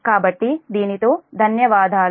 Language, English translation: Telugu, so with that, thank you